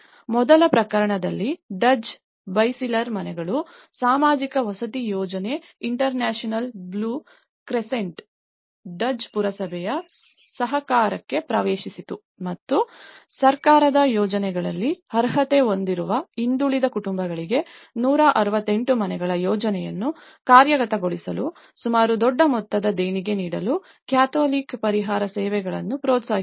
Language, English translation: Kannada, In the first case, Duzce, Beyciler houses, social housing project, the international blue crescent entered into a cooperation of the municipality of the Duzce and encouraged the Catholic Relief Services to donate about a huge sum of amount to realize a project of 168 houses and a community centre for disadvantaged families, who were not qualified in the government schemes